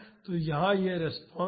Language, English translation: Hindi, So, here this is the response